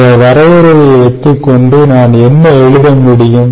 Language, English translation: Tamil, so, therefore, what can i write with this definition